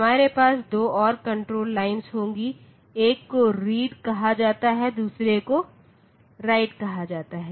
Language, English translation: Hindi, So, we will have a 2 more control lines 1 is called the read and the other is called write